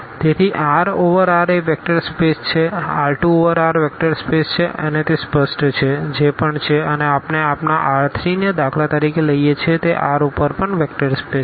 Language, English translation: Gujarati, So, the R over R is a vector space R 2 over R is a vector space etcetera it is it is clear now, whatever and we take your R 3 for instance it is also a vector space over R